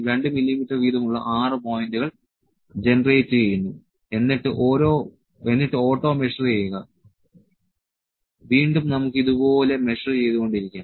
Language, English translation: Malayalam, 6 points are generated at 2 mm distance each and auto measure again we can keep measuring like this